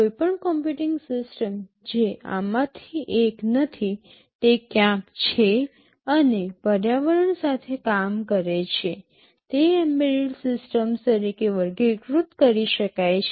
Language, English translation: Gujarati, Any computing system that is not one of these, they are sitting somewhere and working with the environment, they can be classified as embedded systems